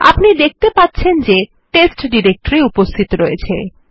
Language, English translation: Bengali, As you can see the test directory exists